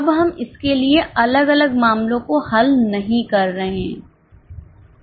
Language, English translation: Hindi, Now we are not solving separate cases for it